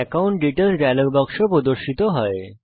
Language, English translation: Bengali, The account details dialog box appears